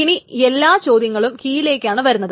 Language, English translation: Malayalam, Now all the queries are on the keys only